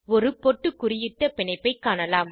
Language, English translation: Tamil, You will see a bulleted bond